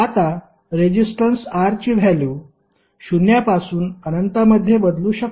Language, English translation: Marathi, Now, the value of resistance R can change from zero to infinity